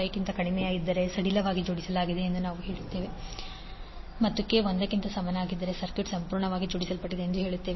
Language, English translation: Kannada, 5, we will say that it is loosely coupled and in case k is equal to one will say circuit is perfectly coupled